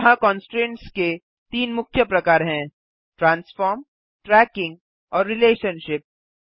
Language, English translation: Hindi, here are three main types of constraints – Transform, Tracking and Relationship